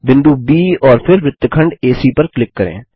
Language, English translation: Hindi, Click on the point B and then on segment AC